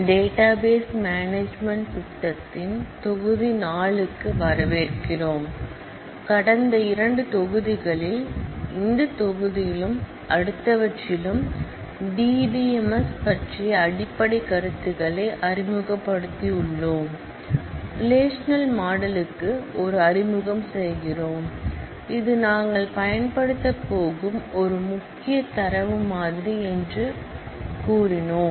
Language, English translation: Tamil, Welcome to module 4 of database management systems, in the last two modules, we have introduced the basic notions of DBMS in this module and the next; we make an introduction to the relational model, which we said is a major data model that we are going to use